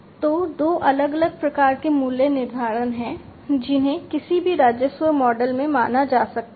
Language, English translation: Hindi, So, there are two different types of pricing that can be considered in any revenue model